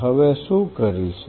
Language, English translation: Gujarati, What will do